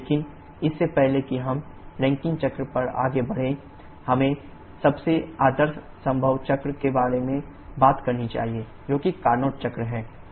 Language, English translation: Hindi, But before we move on to the Rankine cycle, we should talk about the most ideal possible cycle, which is the Carnot cycle